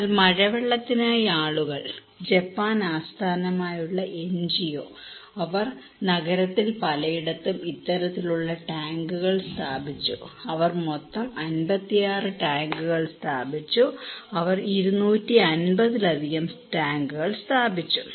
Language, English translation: Malayalam, But the people for rainwater one, Japan based NGO, they install this kind of tank in many places in the town they installed 56 such tanks in total they installed more than 250 tanks, okay